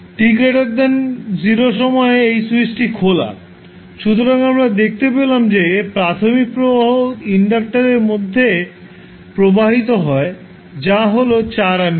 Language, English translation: Bengali, For t less than 0 this switch is open, so we found that the initial current which is flowing through inductor is 4 ampere